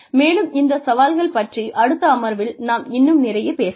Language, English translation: Tamil, And, we will talk more about, these challenges in the next session